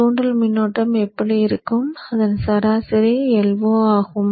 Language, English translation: Tamil, So this is how the inductor current will look like and the average of that is i not